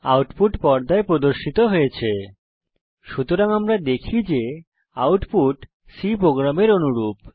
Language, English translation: Bengali, The output is displayed on the screen: So, we see the output is identical to the C program